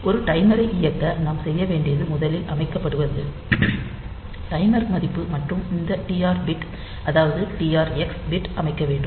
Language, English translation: Tamil, So, to run a timer what we have to do is first set, the timer value and then we have to set this TR bit the TR x bit